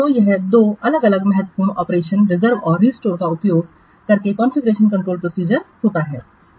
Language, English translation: Hindi, So, this is how the Confucian control process takes place by using two different important operations, reserve and restore